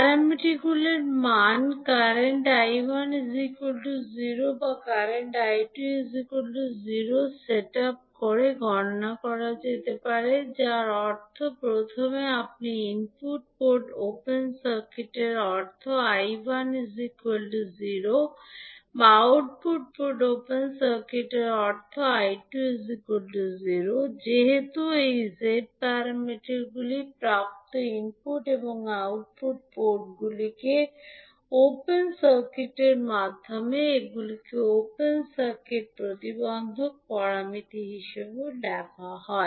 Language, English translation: Bengali, The value of parameters can be calculated by setting up either current I1 is equal to 0 or current I2 is equal to 0 that means first you will make input port open circuit means I1 is equal to 0 or output port open circuited means I2 equal to 0